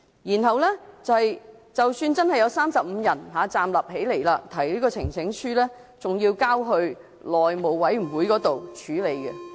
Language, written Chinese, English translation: Cantonese, 而即使有35人站立支持，呈請書也只是交往內務委員會處理。, Even if 35 Members rise to their feet to show support the petition will only be referred to the House Committee